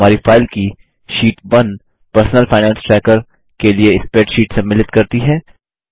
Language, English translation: Hindi, The sheet 1 of our file contains the spreadsheet for Personal Finance Tracker